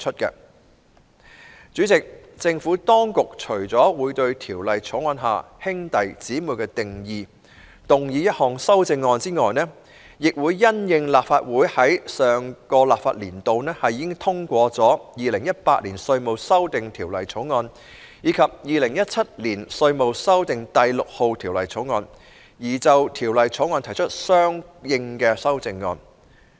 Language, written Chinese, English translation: Cantonese, 代理主席，政府當局除了會對《條例草案》下"兄弟姊妹"的定義動議一項修正案外，亦會因應立法會在上一個立法年度已通過的《2018年稅務條例草案》及《2017年稅務條例草案》，而就《條例草案》提出相應的修正案。, Deputy President apart from moving an amendment to the definition of sibling under the Bill the Administration will also move consequential amendments to the Bill in view of the passage of the Inland Revenue Amendment Bill 2018 and the Inland Revenue Amendment No . 6 Bill 2017 in the last legislative session